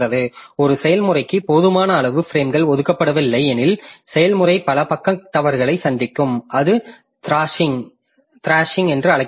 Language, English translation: Tamil, If a process does not have sufficient number of frames allocated to it, the process will suffer many page faults that is called thrashing